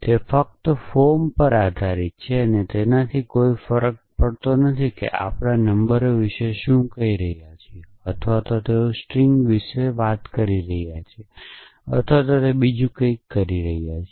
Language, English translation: Gujarati, It is purely based on form it does not matter what we are talking about numbers or they are talking about strings or they are talking about something else